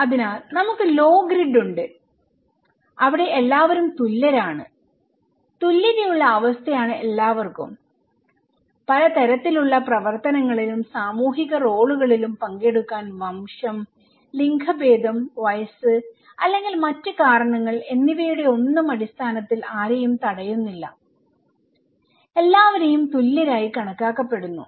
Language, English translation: Malayalam, So, we have like low grid where everybody is equal, egalitarian state of affairs, no one is prevented to participate in any kind of activities or social role depending irrespective of their race, gender, age or so forth, everybody is considered to be equal